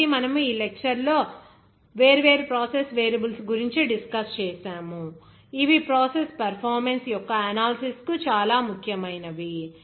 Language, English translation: Telugu, So, we have discussed in this lecture different process variables, which are very important for the analysis of process performance